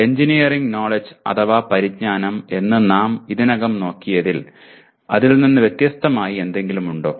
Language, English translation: Malayalam, Is there anything called engineering knowledge separate from what we have already looked at